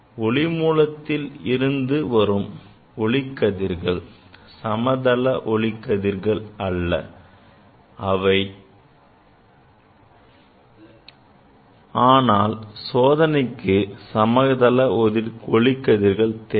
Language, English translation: Tamil, From source the rays are coming, they are not parallel; but for experiment I need parallel rays